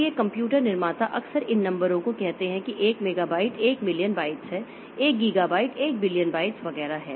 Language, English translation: Hindi, So, these computer manufacturers often round of these numbers and say that one megabyte is one million bytes, one gigabyte is one billion bytes, etc